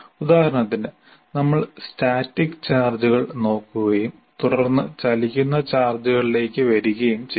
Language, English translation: Malayalam, For example, having done this, then we say, we looked at the static charges and then I come to moving charges